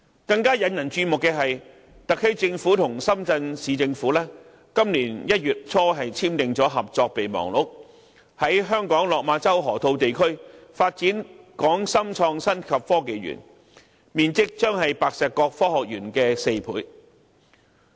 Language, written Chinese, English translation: Cantonese, 更引人注目的是，特區政府和深圳市政府今年1月初簽訂合作備忘錄，在香港落馬洲河套地區發展港深創新及科技園，面積將是白石角科學園的4倍。, It is even more striking that the SAR Government and the Shenzhen Municipal Government signed a memorandum of understanding at the beginning of January this year on the development of a Hong KongShenzhen Innovation and Technology Park in the Lok Ma Chau Loop in Hong Kong with an area quadruple that of the Science Park at Pak Shek Kok